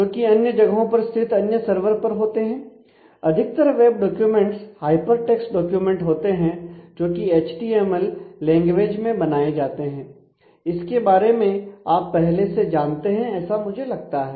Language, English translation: Hindi, Which are locate at other places at other servers and typically most web documents are hyper text documents which are formatted in terms of what we know as HTML Hyper Text Markup Language; you will be familiar with that I am sure